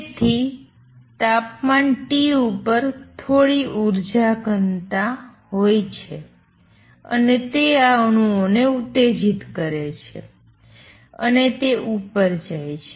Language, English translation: Gujarati, So, at temperature T there exists some energy density and that makes these atoms excite and they go up